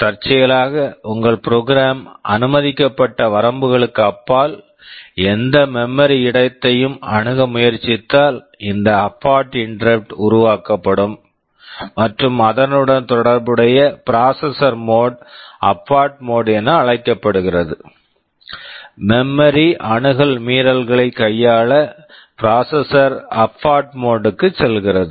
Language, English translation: Tamil, If accidentally your program tries to access any memory location beyond the permissible limits, this abort interrupt will be generated and the corresponding processor mode is called the abort mode; for handling memory access violations the processor goes to the abort mode